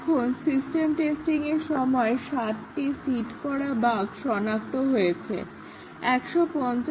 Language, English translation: Bengali, Now, during system testing, 60 of these seeded bugs were detected